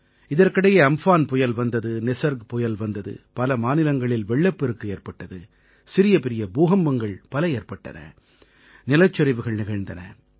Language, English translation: Tamil, Meanwhile, there were cyclone Amphan and cyclone Nisarg…many states had floods…there were many minor and major earthquakes; there were landslides